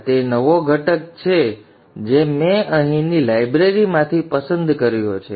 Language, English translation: Gujarati, So this is the new component which I have picked from the library here